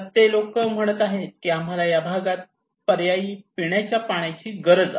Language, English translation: Marathi, So, people are saying now that okay, we need alternative drinking water in this area